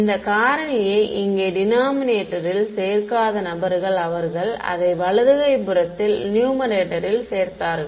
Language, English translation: Tamil, People who do not include this factor here in the denominator they included in the numerator of the on the right hand side